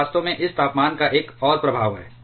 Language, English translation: Hindi, It is actually another effect of this temperature itself